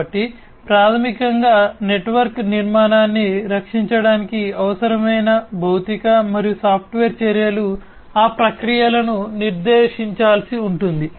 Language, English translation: Telugu, So, basically the physical and software actions that would be required for protecting the network architecture those processes will have to be laid down